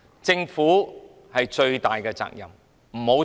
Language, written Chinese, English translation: Cantonese, 政府有最大的責任，不要推卸。, The Government has to bear the biggest responsibility . Do not shirk it